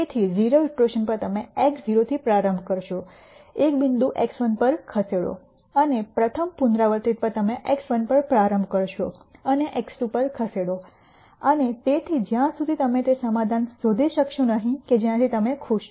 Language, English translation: Gujarati, So, at the 0 th iteration you will start with x 0, move to a point x 1 and at the rst iteration you will start at x 1 and move to x 2 and so on, till you nd the solution that you are happy with